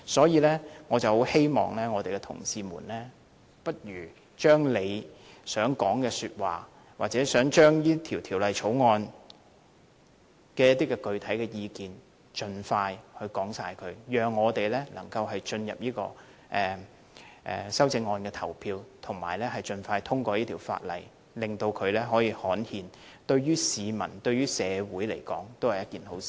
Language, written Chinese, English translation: Cantonese, 因此，我希望同事們不如把他們所有想說的話或對這項《條例草案》想提出的具體意見盡快說出來，讓我們能進入修正案的表決階段，盡快通過這項《條例草案》，令它可以刊憲，因為這樣對市民和社會也是一件好事。, I therefore call on Honourable colleagues to cut to the chase by telling us everything they want to say and the specific views they have on the Bill so that we may proceed to vote on the amendments and pass the Bill expeditiously for its gazettal as it will do good to both the public and the community